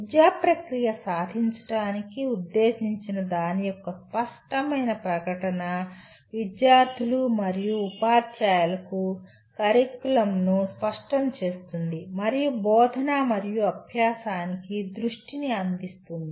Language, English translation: Telugu, An explicit statement of what the educational process aims to achieve clarifies the curriculum for both the students and teachers and provide a focus for teaching and learning